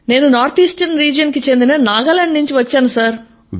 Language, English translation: Telugu, I belong to the North Eastern Region, Nagaland State sir